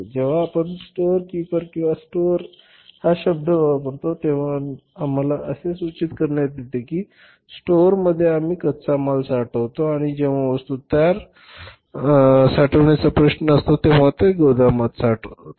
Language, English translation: Marathi, When we use the term storekeeper or the store we indicate that in the store we store the raw material and when it is a question of storing the finished products there we store them in the warehouse